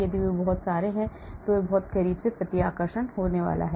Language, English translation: Hindi, if they come very, very close there is going to be repulsion